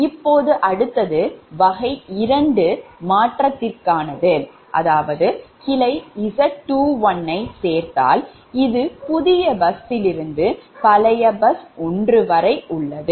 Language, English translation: Tamil, next step to type two modification, that is, add branch z two, one that is from new bus to old bus